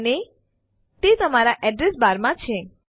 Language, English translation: Gujarati, And,its just in your address bar